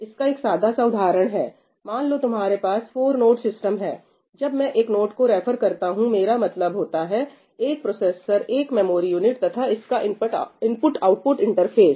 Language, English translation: Hindi, For instance, here is a simple example let us say that you have a four node system: when I refer to a node I mean a processor plus memory unit and its IO interface